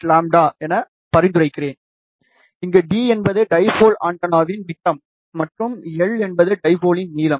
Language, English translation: Tamil, 48 lambda, where d is the diameter of the dipole antenna, and l is the length of the dipole